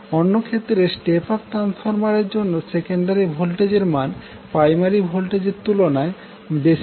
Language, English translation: Bengali, Whereas in case of step up transformer the secondary voltage is greater than its primary voltage